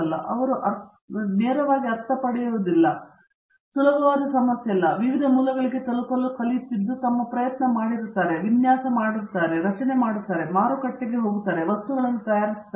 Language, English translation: Kannada, And, they do not get the sense straight, it is not that easy problem, but they have learned to reach out to different sources, put their effort, done their design, done their fabrication, even gone to the market and got the things fabricated it